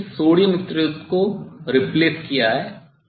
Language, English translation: Hindi, I will replace the sodium source